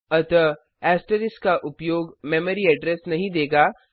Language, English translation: Hindi, So using asterisk will not give the memory address